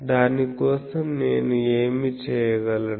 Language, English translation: Telugu, So, for that what I can do